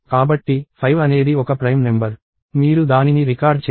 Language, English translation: Telugu, So, 5 is a prime number; you record that